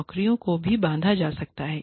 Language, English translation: Hindi, Jobs, can also be banded